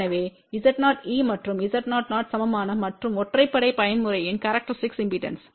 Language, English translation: Tamil, So, Z o e and Z o o are even and odd mode characteristic impedance